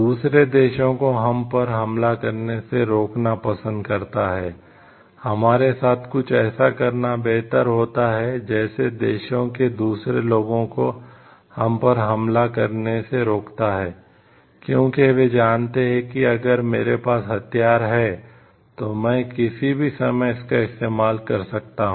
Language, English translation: Hindi, Likes to stop other countries from attacking us, it is better to have some something with us which like stops other people from countries from attacking us, because they know if I have the weapons I can like use it at any point of time